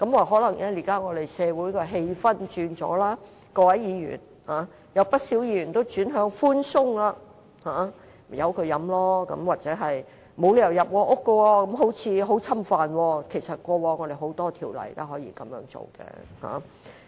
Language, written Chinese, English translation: Cantonese, 可能現時社會氣氛已有所轉變，在議員而言，不少議員也轉向寬鬆，任由人飲酒；又或認為沒有理由可入屋搜查，這做法似乎備受侵犯。, Perhaps the atmosphere in society has changed now . As far as Members are concerned a number of Members prefer going easy on the issue and allow the public to consume liquors; or they consider the authorities have no reason to enter and search a domestic premises as the action will be considered an infringement of privacy